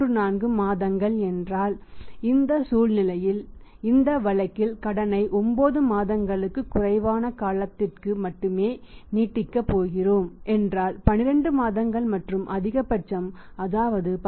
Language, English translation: Tamil, 34 months if we are going to extend the credit in this case in this situation only for a period of more than 9 months less than 12 months and maximum that is for a period of how much 10